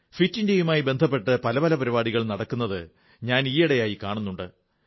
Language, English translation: Malayalam, By the way, these days, I see that many events pertaining to 'Fit India' are being organised